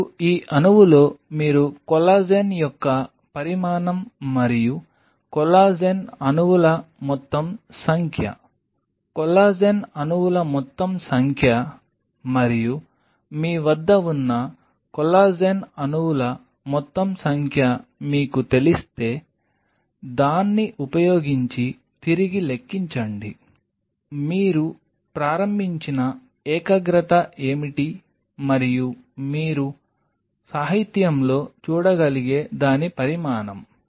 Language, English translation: Telugu, Now, in this molecule you know the dimension of the collagen and the total number of collagen molecules, total number of collagen molecules and if you know the total number of collagen molecules that you have of course, back calculate using number about, what is the concentration you started with and the dimension of it that you can see in the literature